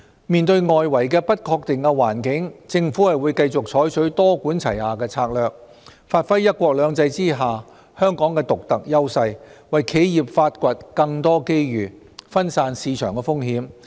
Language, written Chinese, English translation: Cantonese, 面對外圍的不確定環境，政府會繼續採取多管齊下的策略，發揮"一國兩制"下香港的獨特優勢，為企業發掘更多機遇，分散市場風險。, Facing external uncertainties the Government will continue to employ a multi - pronged strategy giving play to Hong Kongs unique edges under one country two systems to tap more opportunities and divert market risks for enterprises